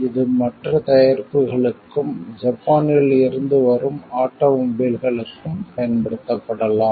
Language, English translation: Tamil, Each it can be used for other products as well like, automobiles from Japan and like that